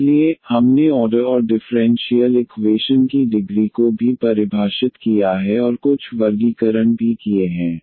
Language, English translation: Hindi, So, we have defined the order and also the degree of the differential equation and also some classification we have done